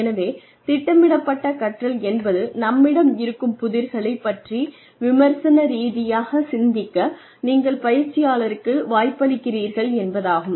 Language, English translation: Tamil, So, programmed learning means that you are giving the learner a chance to think critically, about the issue at hand